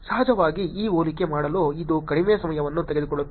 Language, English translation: Kannada, Of course, it was actually taking very less time to do this comparison